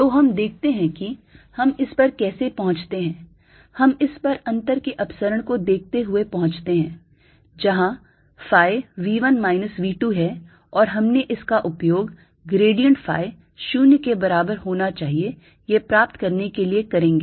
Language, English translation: Hindi, we arrives at this by looking at a divergence of the difference where phi is v one minus v two, and this we used to get that grad phi must be zero